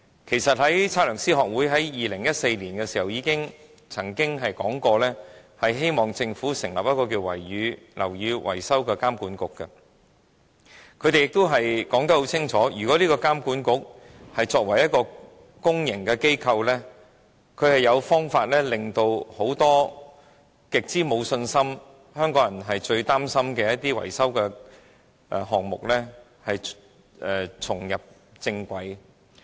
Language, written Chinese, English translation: Cantonese, 其實 ，2014 年香港測量師學會曾建議政府成立樓宇維修監管局，他們清楚指出，這個監管局作為一個公營機構，有辦法令很多香港人極之沒有信心、最擔心的維修項目重返正軌。, Actually in 2014 the Hong Kong Institute of Surveyors proposed to the Government that a building maintenance monitoring authority be set up . They pointed out clearly that the monitoring authority as a public organization would identify ways to bring these maintenance projects which many people of Hong Kong are worrying about and in which they have lost confidence back onto the right track